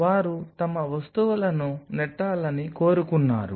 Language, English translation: Telugu, They just wanted to push their stuff